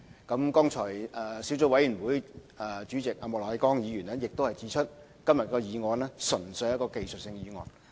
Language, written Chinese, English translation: Cantonese, 相關的小組委員會主席莫乃光議員剛才亦指出，今天的議案純粹是一項技術性的議案。, As Mr Charles Peter MOK the Chairman of the relevant Subcommittee also pointed out earlier the motion today is purely technical